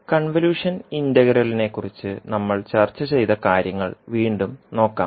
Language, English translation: Malayalam, So this is what we discussed about the convolution integral